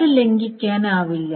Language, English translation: Malayalam, They cannot be violated